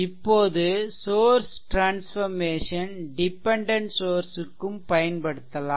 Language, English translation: Tamil, Now source transformation also applied to dependent sources